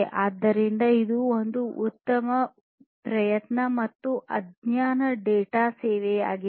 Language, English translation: Kannada, So, this is kind of a best effort and unacknowledged data service